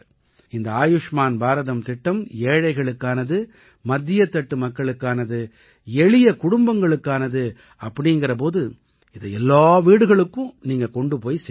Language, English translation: Tamil, This Ayushman Bharat scheme, it is for the poor, it is for the middle class, it is for the common families, so this information must be conveyed to every house by You